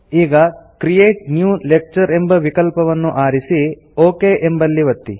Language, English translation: Kannada, Now, select the Create New Lecture option and click OK